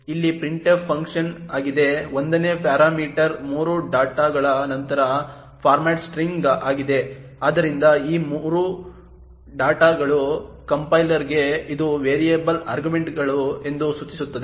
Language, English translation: Kannada, Here is the printf function, the 1st parameter is the format string followed by 3 dots, so this 3 dots indicates to the compiler that it is variable arguments